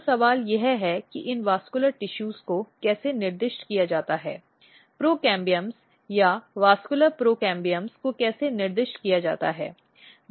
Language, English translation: Hindi, So, the question is that how this vascular tissues are specified, how procambiums or vascular procambiums are specified